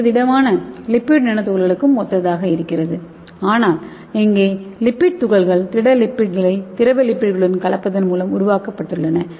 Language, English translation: Tamil, So this is also similar to solid lipid nano particles but here the lipid particles have been developed by mixing solid lipids with the liquid lipids